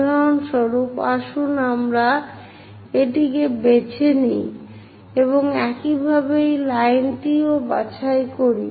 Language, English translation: Bengali, For example, let us pick this one and similarly pick this line